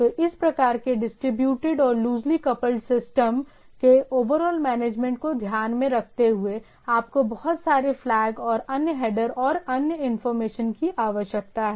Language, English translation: Hindi, So keeping in mind so, in the overall management of this type of distributed and loosely coupled system, you need to have lot of flags and what we say so called headers and other informations to handle that